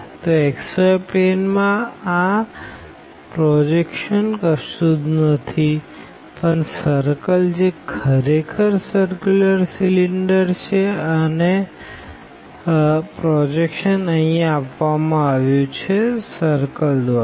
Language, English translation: Gujarati, So, this projection on the xy plane is nothing, but the circle because it was a circular cylinder and the projection is given as here by this circle